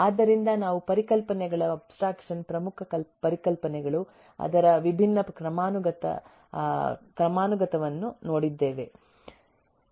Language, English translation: Kannada, so we have seen the abstraction of concepts, the key concepts, different hierarchy of that